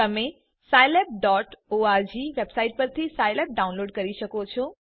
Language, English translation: Gujarati, You can download scilab from the scilab.org website